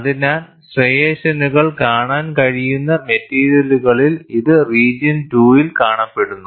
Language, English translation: Malayalam, So, in those materials where striations can be seen it would be seen in the region 2